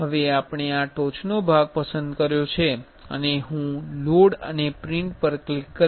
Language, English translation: Gujarati, Now, we have selected this top part and I will click the load and print